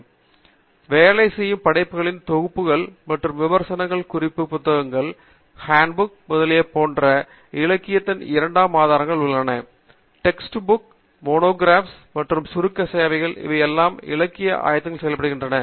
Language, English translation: Tamil, And, there are also secondary sources of literature such as compilations of works done, and reviews, reference books, hand books, etcetera; text books, monographs, and abstracting services all these can be also acting as literature surveys